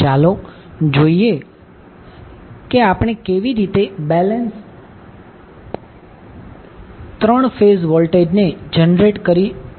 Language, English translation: Gujarati, So, let us see how we generate balance 3 phase voltages